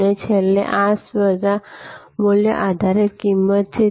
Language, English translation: Gujarati, And lastly, this is the competition base pricing